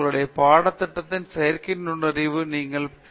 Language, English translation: Tamil, The only place where you get, where you have a idea of the synthetic intelligence in your course, is basically in your B